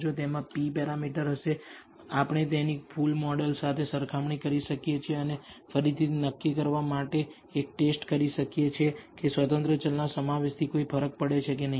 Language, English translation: Gujarati, So, that will have p parameters, we can compare it with the full model and again perform a test to decide whether the inclusion of that independent variable makes a difference or not